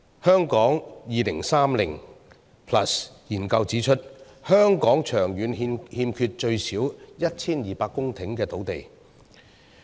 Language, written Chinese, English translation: Cantonese, 《香港 2030+》研究指出，香港長遠欠缺最少 1,200 公頃的土地。, The Hong Kong 2030 Study pointed out that in the long run there would be a shortfall of at least 1 200 hectares of land in Hong Kong